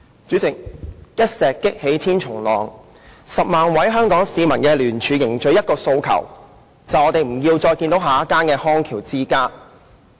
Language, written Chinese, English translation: Cantonese, 主席，一石激起千重浪 ，10 萬位香港市民的聯署凝聚了一個訴求，就是我們不要再看到下一間康橋之家。, President one tossed stone raises a thousand ripples . The joint petition of 100 000 people in Hong Kong has forged a common aspiration that is we do not want to see another Bridge of Rehabilitation